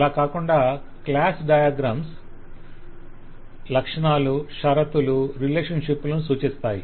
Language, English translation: Telugu, Besides that, class diagrams will show the features, the constraints, the relationship